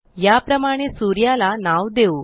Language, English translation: Marathi, Let us now name the sun in the same way